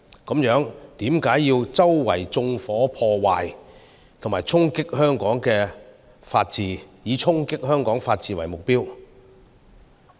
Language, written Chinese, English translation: Cantonese, 為何要周圍縱火和破壞，以衝擊香港的法治為目標？, Then why do they set places ablaze and cause damage everywhere and aim at undermining the rule of law of Hong Kong?